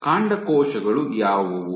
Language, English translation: Kannada, What are stem cells